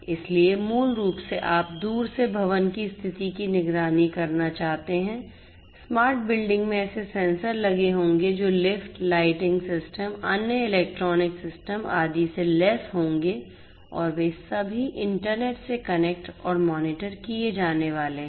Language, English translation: Hindi, So, basically you want to monitor the condition of the building remotely you know in a smart building there would be sensors that would be fitted to elevators, lighting systems, other electronic systems, etcetera and they are all going to be connected and monitored through the internet